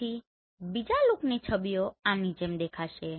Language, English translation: Gujarati, Then Two look images will look like this